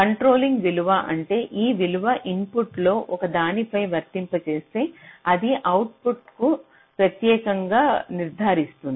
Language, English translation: Telugu, controlling value means if this value is applied on one of the inputs, it will uniquely determine the output